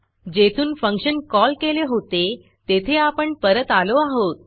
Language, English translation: Marathi, And now Im back to where the function call was made